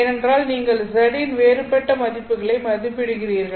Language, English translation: Tamil, Again, this is a function of z because you are evaluating a different values of z